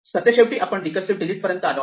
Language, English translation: Marathi, Finally, we can come down to the recursive delete